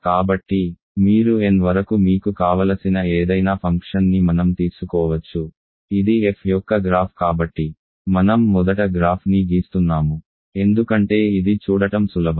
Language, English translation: Telugu, So, we can simply take any function you want up to n, this is a graph of that f so I am drawing the graph first because it is easy to see